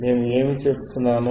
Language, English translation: Telugu, What I am saying